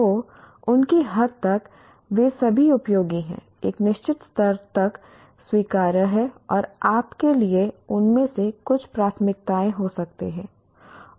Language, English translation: Hindi, So to that extent all of them are useful, what do you call acceptable to a certain level, and you may have preferences for some of them